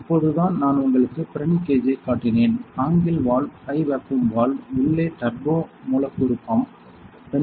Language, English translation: Tamil, So, just now I have shown you the Pirani gauge; the right angle valve, the high vacuum valve, the turbo molecular pump inside